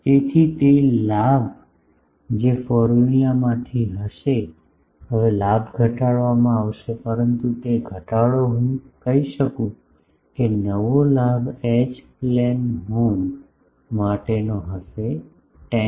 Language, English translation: Gujarati, So, the gain that will be from the formula, now gain will be reduced, but that reduction will be the I can say that new gain will be for the H plane horn will be 10